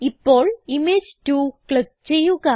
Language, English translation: Malayalam, Now click on Image 2